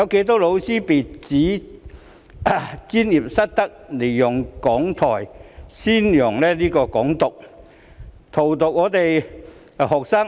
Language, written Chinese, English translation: Cantonese, 多少教師被指專業失德，利用講台宣揚"港獨"，荼毒我們的學生？, How many teachers have been accused of professional misconduct for using their podium to advocate Hong Kong independence and corrupt our students?